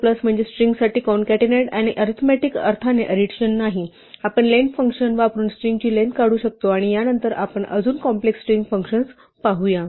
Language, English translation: Marathi, Plus means concatenation for strings and not addition in the arithmetic sense, we can extract the length of a string using the len function and we said that we will look at more complex string functions later on